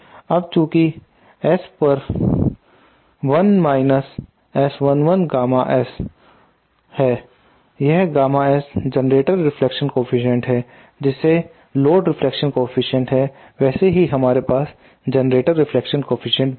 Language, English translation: Hindi, Now since S upon 1 minus S 1 1 gamma S that this gamma S is the generator reflection coefficient just like the load reflection coefficient we also have the generator reflection coefficient